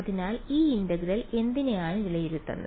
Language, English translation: Malayalam, So, what will this integral evaluate to